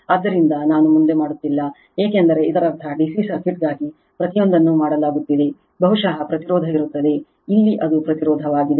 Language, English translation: Kannada, So, I am not doing further, because means every things are being done for DC circuit the same thing that probably there will be resistance, here it is impedance right